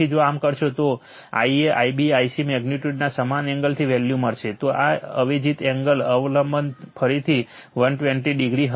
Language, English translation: Gujarati, So, if you do so you will get value of I a, I b, I c, magnitude same angles also substituted angle dependence will be again 120 degree right